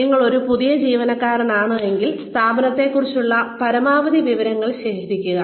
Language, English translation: Malayalam, If you are a new employee, collect as much information, about the organization as possible